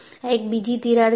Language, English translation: Gujarati, There is another crack here